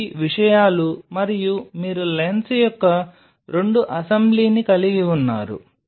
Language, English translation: Telugu, These are the things and you have couple of assembly of lens